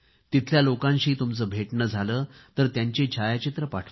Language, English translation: Marathi, If you happen to meet people there, send their photos too